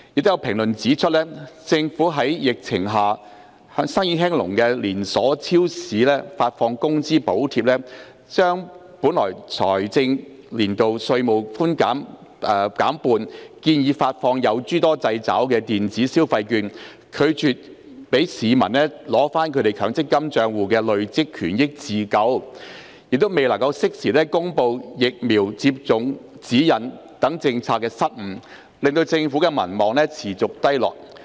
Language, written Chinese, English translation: Cantonese, 有評論指出，政府向在疫情下生意興隆的連鎖超市發放工資補貼、將本財政年度稅務寬免減半、建議發放有諸多制肘的電子消費券、拒絕讓市民取回其強積金帳戶的累算權益自救、未能適時公布疫苗接種指引等政策失誤，令政府民望持續低落。, There have been comments that the Government has made policy blunders such as disbursing wage subsidies to supermarket chains whose business has bloomed amid the epidemic reducing tax concessions for the current financial year by half proposing to issue electronic consumption vouchers with all sorts of restrictions refusing to allow members of the public to withdraw the accrued benefits in their MPF accounts to help themselves and failing to publish vaccination guidelines in a timely manner which have resulted in the Governments persistently low popularity